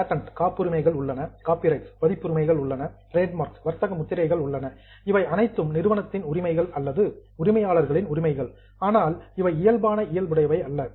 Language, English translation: Tamil, There are patents, there are copyrights, there are trademarks, these all are rights of the company or rights of the owner but not of physical in nature